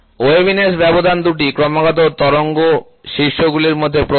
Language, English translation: Bengali, The spacing of waviness is the width between two successive wave peaks